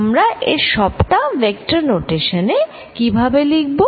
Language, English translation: Bengali, How can we write all these in vector notation